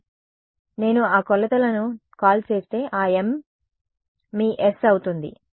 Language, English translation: Telugu, So, if I call that say m m measurements, that is your s